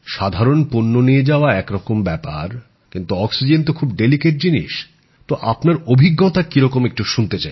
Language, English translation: Bengali, Ferrying normal goods is a different matter, Oxygen is a very delicate thing too, what experience did you undergo